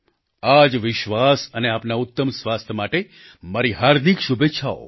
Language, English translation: Gujarati, With this assurance, my best wishes for your good health